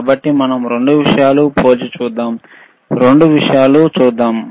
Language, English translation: Telugu, So, if we if we compare both the things, let us see, both the things let us see